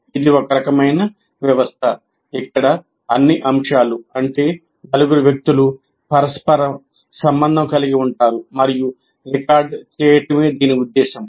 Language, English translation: Telugu, So what happens, This is a kind of a system where all the elements, namely the four people, are interrelated and the purpose is to record